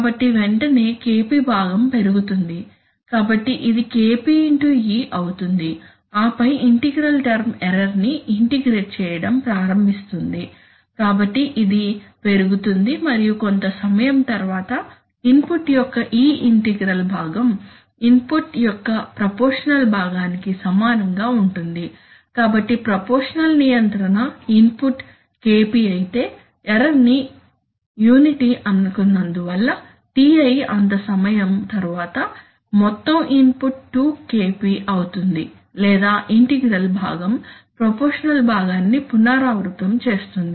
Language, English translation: Telugu, So immediately the Kp part will rise, so this will be Kp into e and then the integral term will start integrating the error, so it will go up right and after sometime this integral part of the input will equal the proportional part of the input, so the so it turns out that after exactly after Ti amount of time the input will become, if the proportional control input is Kp because I have taken the error as unity then after Ti amount of time the total input will become 2 Kp or the integral part will repeat the proportional part